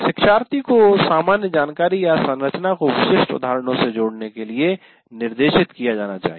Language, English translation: Hindi, So, learners should be guided to relate general information or an organizing structure to specific instances